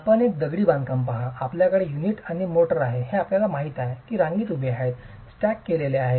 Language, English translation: Marathi, You look at a masonry construction, you have the unit and the motor, these are lined up, stacked up